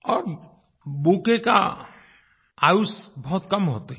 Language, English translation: Hindi, And the life span of a bouquet is very short